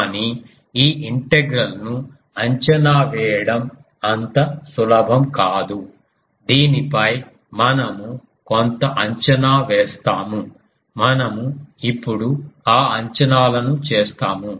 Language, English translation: Telugu, But this integral is not so easy to evaluate on this we make certain approximation; we will make those approximations now